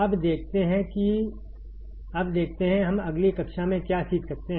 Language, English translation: Hindi, Now let us see, what we can learn in the next class